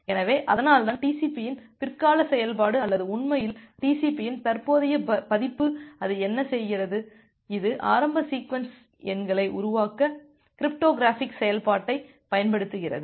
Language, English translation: Tamil, So, that’s why the later function of the TCP or indeed the current version of the TCP what it does, that it uses the cryptographic function to generate the initial sequence numbers